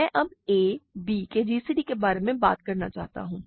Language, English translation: Hindi, I want to now talk about a gcd of a, b